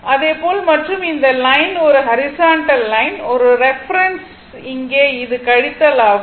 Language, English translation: Tamil, So, similarly and this line is a horizontal line is a reference, here also it is reference, here it is subtraction, right